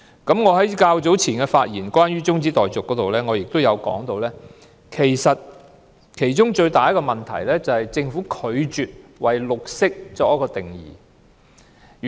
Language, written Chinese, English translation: Cantonese, 一如我早前就中止待續議案發言時提到，其中最大的問題是政府拒絕為"綠色"作定義。, As mentioned by me in my earlier speech on the adjournment motion the biggest problem is the Governments refusal to define green